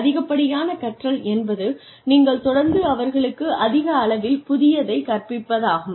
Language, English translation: Tamil, Over learning means, you constantly teach them, something new